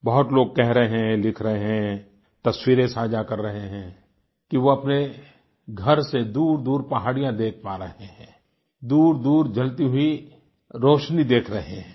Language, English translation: Hindi, Many people are commenting, writing and sharing pictures that they are now able to see the hills far away from their homes, are able to see the sparkle of distant lights